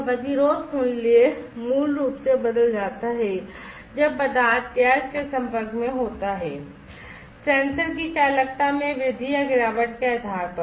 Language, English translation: Hindi, So, the resistance value basically changes when the material is exposed to gas depending on the rise or fall in conductivity of the sensor material